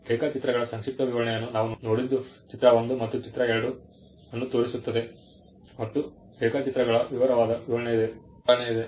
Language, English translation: Kannada, What we saw the brief description of the drawings figure 1 shows figure 2 and there is a detailed description of the drawings